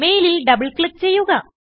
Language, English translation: Malayalam, Double click on the mail